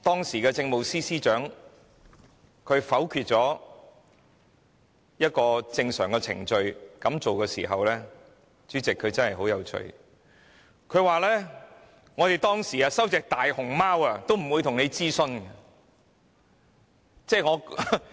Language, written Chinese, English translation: Cantonese, 時任政務司司長在否決採用正常程序時的說法很有趣，她說政府以往接收大熊貓時也沒有諮詢公眾。, The justification given by the then Chief Secretary for Administration for not following the normal procedure was very interesting . She said the Government had not consulted the public on the reception of pandas in the past